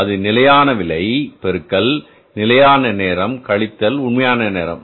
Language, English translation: Tamil, That is the standard rate into standard time, standard time minus actual time